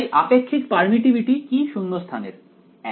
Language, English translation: Bengali, So, what is relative permittivity of vacuum 1